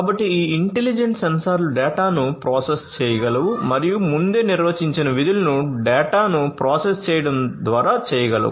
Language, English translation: Telugu, So, these intelligent sensors are capable of processing sensed data and performing predefined functions by processing the data